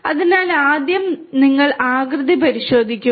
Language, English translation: Malayalam, So, first you check the shape